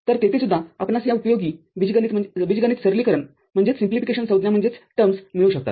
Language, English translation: Marathi, So, there also you can find these algebraic simplification terms, of use